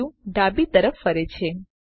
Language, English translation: Gujarati, The view rotates to the left